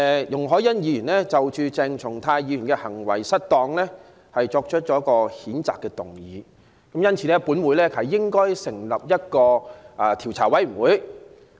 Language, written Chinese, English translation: Cantonese, 容海恩議員就鄭松泰議員行為失當提出了一項譴責議案，因此，本會應成立調查委員會跟進。, A censure motion has been moved by Ms YUNG Hoi - yan for the misbehaviour of Dr CHENG Chung - tai and in this connection an investigation committee should be set up in this Council to follow up on the matter